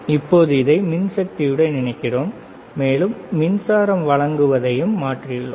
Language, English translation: Tamil, Now we are connecting this to the power supply, and we have switch on the power supply